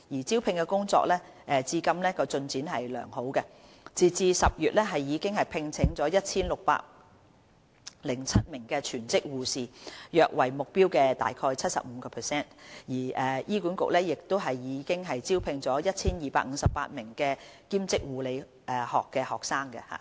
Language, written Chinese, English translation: Cantonese, 招聘工作至今的進展良好，截至10月已聘請 1,607 名全職護士，約為目標的 75%； 醫管局亦已聘請 1,258 名兼職護理學學生。, So far good progress has been made in the recruitment exercise . A total of 1 607 full - time nurses have been employed as at the end of October with nearly 75 % of the target met . Besides 1 258 Temporary Undergraduate Nursing Students have also been employed